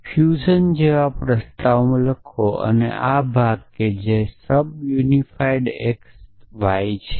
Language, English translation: Gujarati, So, will write in a prolog like fusion this part that is sub unify x y